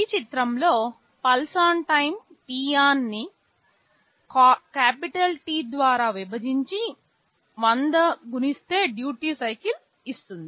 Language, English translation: Telugu, In this diagram the pulse on time is t on divided by capital T multiplied by 100 that will give you the duty cycle